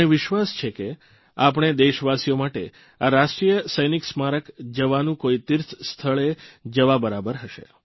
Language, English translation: Gujarati, I do believe that for our countrymen a visit to the National War Memorial will be akin to a pilgrimage to a holy place